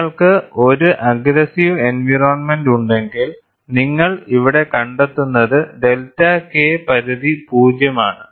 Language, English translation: Malayalam, If you have an aggressive environment, what you find here is, the delta K threshold is 0